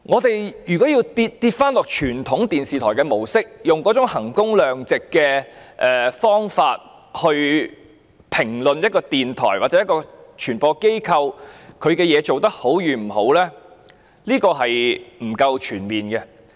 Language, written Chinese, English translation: Cantonese, 因此，如果要沿用傳統電視台模式，而以衡工量值的方式來評估一個電台或傳播機構的工作表現，這並不全面。, Hence for a radio station or a media organization adopting the traditional operation mode of a television station it will be incomprehensive to assess its performance using the value for money criterion